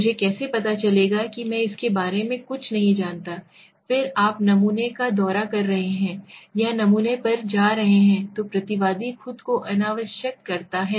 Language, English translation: Hindi, How do I know I do not know anything about it, then you are visiting the sample or going to the sample that respondent itself becomes say unnecessary task, okay